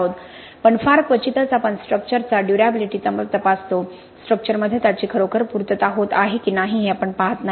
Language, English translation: Marathi, But very rarely we actually check for durability in the structure, we do not really see whether it is actually being met with in the structure, right